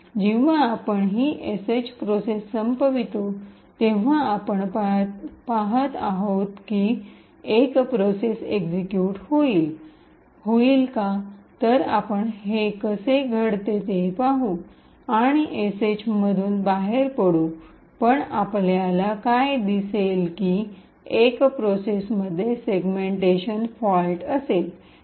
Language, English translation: Marathi, So when we terminate this sh process what we see is that the one process will continue to execute, so let us see this happening so we exit the sh but what we will see is that the one process will have a segmentation fault okay